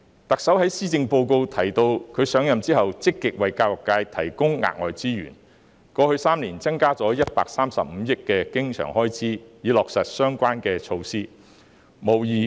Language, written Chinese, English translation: Cantonese, 特首在施政報告中提及，她上任後積極為教育界提供額外資源，過去3年增加了135億元的經常開支，以落實相關措施。, In the Policy Address the Chief Executive mentions that she has been actively providing additional resources for the education sector since she took office and the recurrent expenditure concerned has been increased by 13.5 billion over the past three years to implement the relevant measures